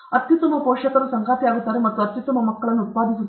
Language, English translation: Kannada, Best parents mate, and get, and produce the best children